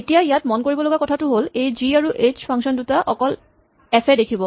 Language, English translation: Assamese, Now, the point to note in this is that these functions g and h are only visible to f